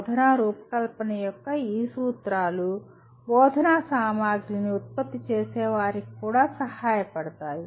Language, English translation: Telugu, And these principles of instructional design would also help producers of instructional materials